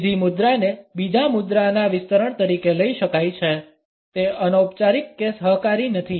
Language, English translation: Gujarati, The third posture can be taken up as an extension of the second one; it is neither informal nor cooperative